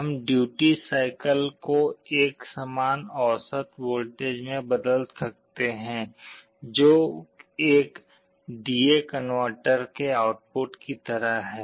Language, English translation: Hindi, We can convert the duty cycle into an equivalent average voltage which is like the output of a D/A converter